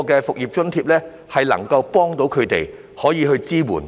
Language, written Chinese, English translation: Cantonese, "復業津貼"能夠幫助他們，可以提供支援。, The business resumption allowance can help them and support them